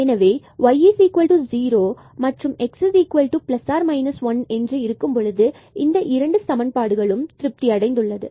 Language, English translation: Tamil, So, let us consider that y is equal to 0 so, this equation is satisfied